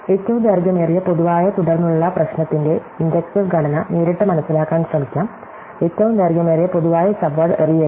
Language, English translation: Malayalam, So, let us try understanding inductive structure of this longest common subsequence problem directly, not throw the longest common subword